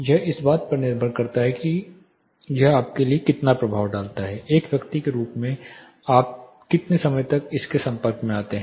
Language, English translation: Hindi, This depends on how much impact it causes you, for how much time you are a person as a person are exposed to it